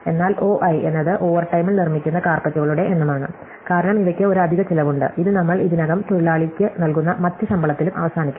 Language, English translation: Malayalam, But, O i is specifically the number of carpets which are made in overtime, because for these there is an extra cost, this is over and above salary we already pay the worker